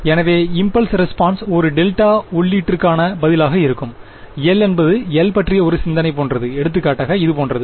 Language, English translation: Tamil, So, the impulse response will be the response to a delta input, L is like a think of L just as for example, like this